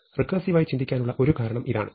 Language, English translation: Malayalam, So, this, the reason to think of it recursively